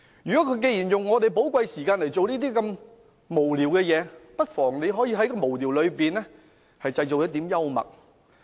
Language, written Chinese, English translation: Cantonese, 他們利用我們的寶貴時間來做這些無聊事，我們不妨在無聊中製造一點幽默。, They are using our precious time to engage in these frivolities . We might as well create some humour amid these frivolities